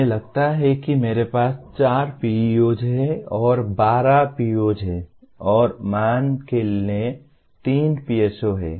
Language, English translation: Hindi, Let us assume I have four PEOs and there are 12 POs and let us assume there are three PSOs